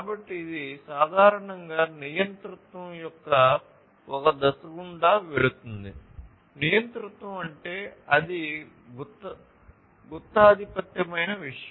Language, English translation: Telugu, So, it goes through typically a phase of dictatorship; dictatorship means like it is a monopoly kind of thing